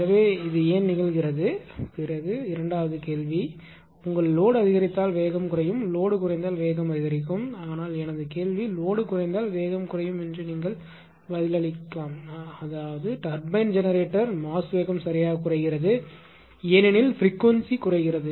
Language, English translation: Tamil, So, why this happens and second question is that if ah your load is increases speed decreases right and if load ah decreases speed increases, but my question is either of this you can answer that if load decreases ah increases speed decreases; that means, ah turbine generator mass speed is decreasing right because frequency decreases